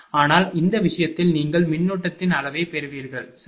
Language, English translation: Tamil, But in this case, you will get the magnitude of current, right